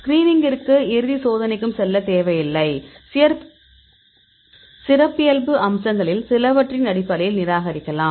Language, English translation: Tamil, So, we do not go for the screening and the final checking, so we can reject based on the some of these characteristic features